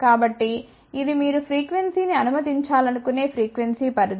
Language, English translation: Telugu, So, this is the frequency range where you want to pass the frequency